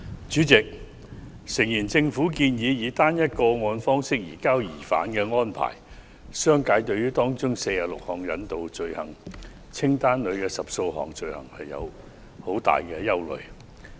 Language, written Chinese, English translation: Cantonese, 主席，政府建議以"單一個案"方式移交疑犯的安排，商界對於可引渡罪行清單所包含46項罪類中的10多項存有很大的憂慮。, President the Government proposes a case - based arrangement for the surrender of suspects and the business sector has expressed grave concern about 10 - odd items of offences contained in the 46 items of offences set out in the list of extraditable offences